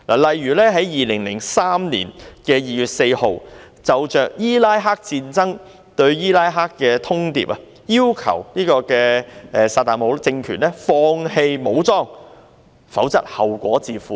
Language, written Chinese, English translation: Cantonese, 例如在2003年2月4日，就伊拉克戰爭對伊拉克發出通牒，要求薩達姆政權放棄武裝，否則後果自負。, For instance on 4 February 2003 an ultimatum was issued to Iraq on the Iraqi war demanding that Saddam HUSSEIN gave up arms or else he would have to bear the consequences . Members can think about this